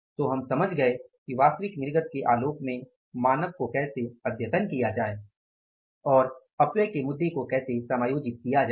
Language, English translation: Hindi, So we understood how to upscale the standard in the light of actual output and how to adjust the issue of waste stages